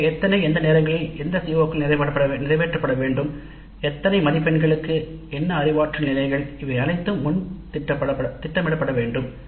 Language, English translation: Tamil, So, how many, at what times, what are the COs to be covered, for how many marks, at what cognitive levels, all this must be planned upfront